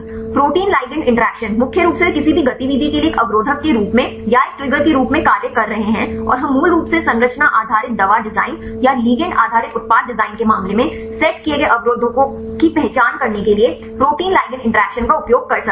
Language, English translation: Hindi, Protein ligand interactions, mainly they are acting as an or triggering as an inhibitors for any activity and we can also use the protein ligand interactions to identify inhibitors set basically in the case of the structures based drug design or ligand based drug design right